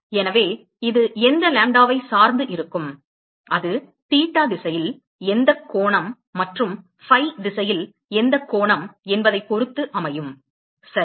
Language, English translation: Tamil, So it is going to be dependent on which lambda, it is going to be depended on what angle in theta direction, and what angle in phi direction ok